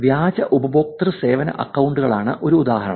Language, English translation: Malayalam, These is fake customer service account problem